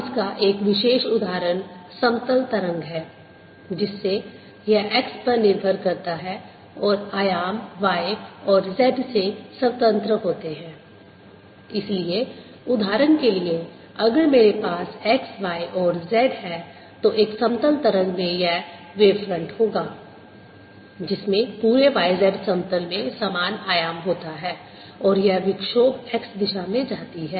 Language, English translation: Hindi, so for example, if i have x, y and z, a plane wave would have this wave front which has the same amplitude all over by the plane, and this, this disturbance, travels in the y direction